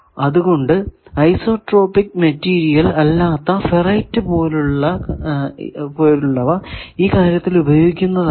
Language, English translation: Malayalam, So, for that it is better that the non isotropic material like ferrites etcetera, they are not used